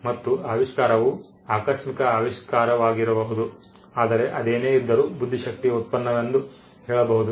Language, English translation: Kannada, And invention it could be as serendipitous invention, but nevertheless be attributed as a product of the intellect